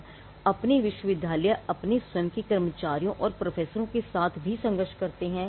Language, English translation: Hindi, But universities are also fought with their own employees and professors